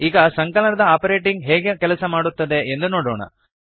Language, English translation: Kannada, Now lets see how the addition operator works